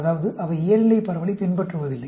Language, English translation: Tamil, That means, they do not follow a normal distribution